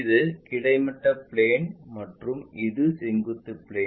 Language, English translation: Tamil, This is the horizontal plane and this is the vertical plane